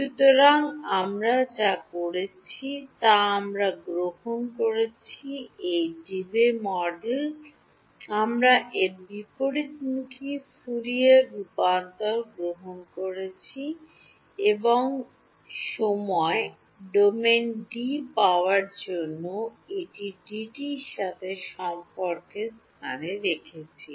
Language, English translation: Bengali, So, what we did was we took this Debye model we took its inverse Fourier transform and substituted it into the relation for D to obtain D in the time domain